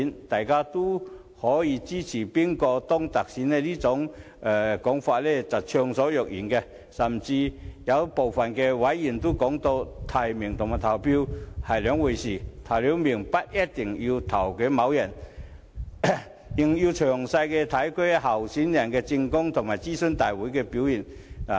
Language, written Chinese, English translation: Cantonese, 大家都可以就支持誰人當特首暢所欲言，有部分委員甚至說提名和投票是兩回事，提名後不一定要投票給該人，因為還要詳細研究候選人的政綱及在諮詢大會上的表現。, We can express our views about the candidates whom we support and some EC members have even said that nomination and voting are two separate issues and they may not necessarily vote for the candidate they have nominated as they need to carefully consider the candidates political platform and performances at the consultation meetings